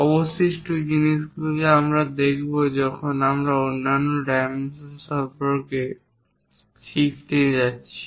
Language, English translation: Bengali, Remaining things we will learn when we are going to learn about other dimensioning